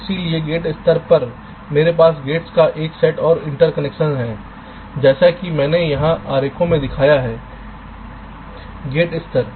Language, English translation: Hindi, so at the gate level i have a set of gates and the interconnection as i have shown in the diagrams here